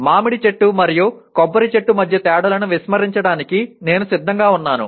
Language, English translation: Telugu, I am willing to ignore the differences between mango tree and a coconut tree